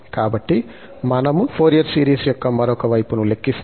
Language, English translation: Telugu, So, now we can replace in the Fourier series